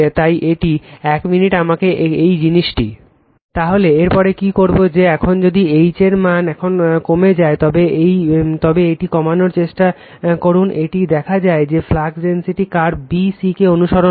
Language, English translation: Bengali, So, after that what you will do that your now if the values of H is now reduce it right you try to reduce, it is found that flux density follows the curve b c right